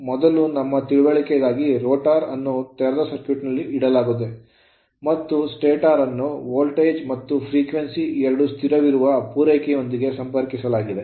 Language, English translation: Kannada, First for our understanding you assume the rotor is open circuited and it and stator it is connected to a supply where voltage and frequency both are constant right